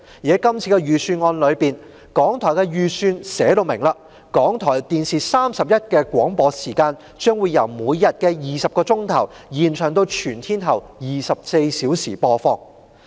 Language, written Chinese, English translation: Cantonese, 在今年的預算案裏，港台的預算寫明港台電視31的廣播時間，將由每天20小時延長至全天候24小時播放。, In the Budget this year the estimate for RTHK reads that the daily broadcast on RTHK TV 31 will extend from 20 hours to 24 hours